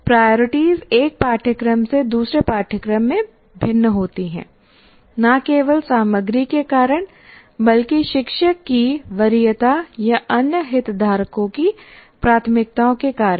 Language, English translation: Hindi, So the priorities, as you can see, vary from one course to the other not only because of the content, also because of the preference of the teacher or the other stakeholders' preferences